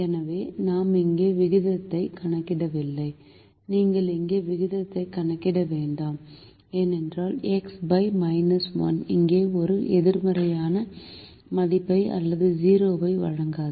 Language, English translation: Tamil, you don't compute the ratio here because five divided by minus one will not give a positive value or a zero here